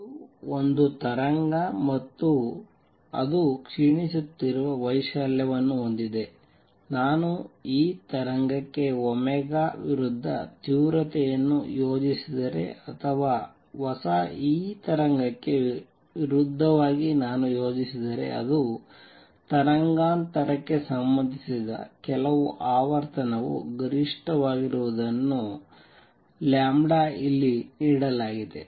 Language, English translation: Kannada, And this also gives then because this a wave and that has decaying amplitude, if I plot the intensity versus omega for this wave or versus new this wave it comes out to be peak that certain frequency which is related to the wavelength, given here lambda